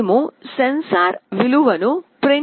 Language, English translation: Telugu, We will be printing the sensor value